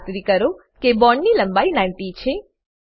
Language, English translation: Gujarati, Ensure that Bond length is around 90